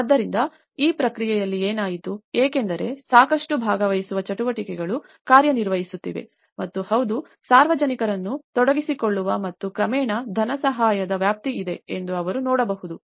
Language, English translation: Kannada, So, in that process, what happened was because there is a lot of participatory activities working on and they could see that yes, there is a scope of engaging the public and gradually the funding